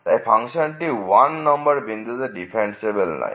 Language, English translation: Bengali, So, the function is not differentiable at the point 1